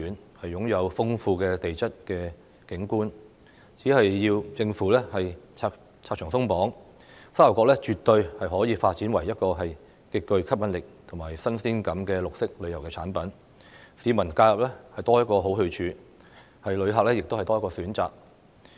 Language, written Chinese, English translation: Cantonese, 該處擁有豐富的地質景觀，政府只要拆牆鬆綁，沙頭角絕對可以發展為一個極具吸引力及新鮮感的綠色旅遊產品，讓市民在假日有多一個好去處，旅客亦有多一個選擇。, If the Government removes barriers Sha Tau Kok can surely be developed into a green tourism product of great attraction and novelty providing the public with one more good place to visit during their holidays and offering tourists one more option